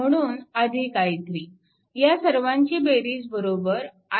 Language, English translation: Marathi, So, 4 plus i 2 plus i 3 is equal to i 4